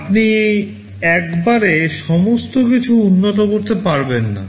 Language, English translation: Bengali, You cannot improve everything at once